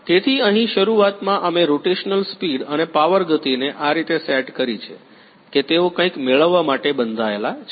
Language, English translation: Gujarati, So, here initially we have set the rotational speed and power speed in such a way, that they are bound to get some